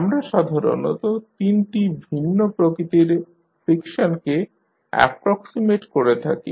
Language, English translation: Bengali, We generally approximate with 3 different types of friction